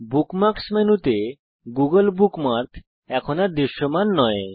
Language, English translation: Bengali, * The google bookmark is no longer visible in the Bookmark menu